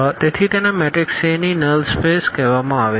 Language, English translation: Gujarati, So, this is called the null space of the matrix A